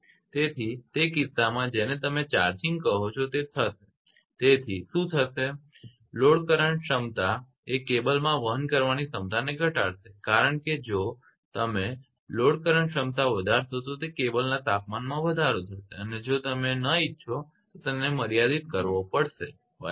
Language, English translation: Gujarati, So, in that case your what you call the charging it will therefore, what will happen the load current capability carrying capability of the cable will decrease the right, because if you increase the load current capability the temperature rise will be there in that cable and if you do not want you have to restrict that right